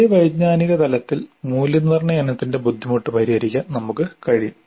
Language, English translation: Malayalam, At the same cognitive level we can tone down the difficulty of the assessment item